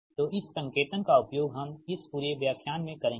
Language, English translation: Hindi, so this, so this notation will be used throughout this